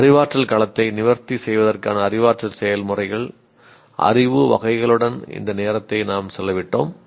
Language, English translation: Tamil, And we spent all this time with the cognitive processes, knowledge categories to address the cognitive domain